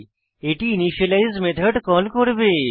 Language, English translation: Bengali, This will invoke the initialize method